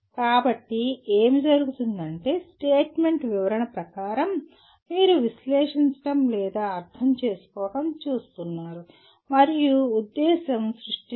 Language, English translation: Telugu, So what happens is as the statement goes you are looking at analyzing or maybe understanding, and the purpose is to create